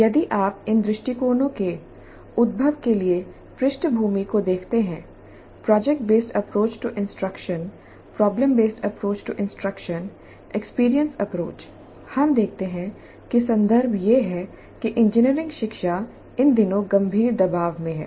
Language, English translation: Hindi, If you look at the background for the emergence of these approaches, product based approach, problem based approach, experiential approach, we see that the context is that the engineering education is under severe pressure these days